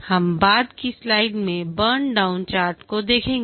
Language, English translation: Hindi, Now let's look at the burn down charts